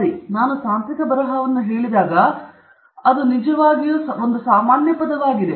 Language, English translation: Kannada, Okay so, when we say technical writing that’s actually a more general phrase that I have put there